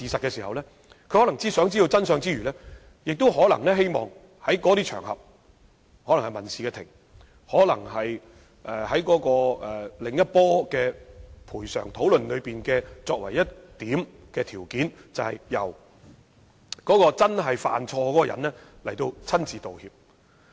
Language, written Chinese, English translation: Cantonese, 在希望知道真相之餘，他們可能也希望在那些場合例如民事法庭，在另一次賠償討論中提出條件，要求由真正犯錯的人親自道歉。, Apart from the wish to know the truth it may also be their hope to make known their stance on such occasions as civil court proceedings and put forward in another round of discussions on compensation their request for apologies given personally by the people at fault